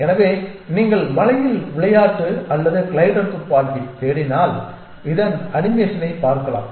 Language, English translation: Tamil, So, if you just search game of life or glider gun on the web you will probably get to see on animation of this